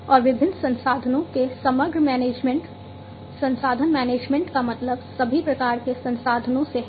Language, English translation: Hindi, And the overall management of the different resources resource management means all kinds of resources